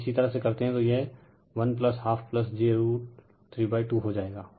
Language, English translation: Hindi, If you do so, it will become 1 plus half plus j root 3 by 2